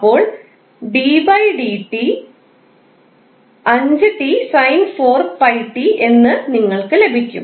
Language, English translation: Malayalam, So, you will get d by dt of 5t sin4pi t